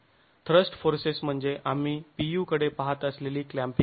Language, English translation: Marathi, The thrust force is the clamping force that we were looking at, the P